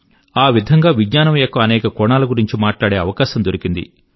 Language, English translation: Telugu, I have often spoken about many aspects of science